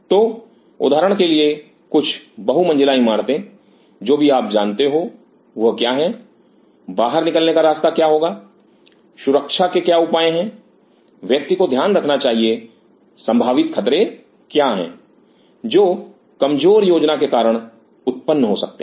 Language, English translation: Hindi, So, for examples some multi storey building or whatever you know, what are what will be the exit route, what are the safety measures one has to consider what are the possible hazard which may arise because of ill planning